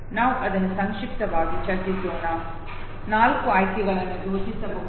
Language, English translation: Kannada, Let us discuss it very succinctly, four options can be thought of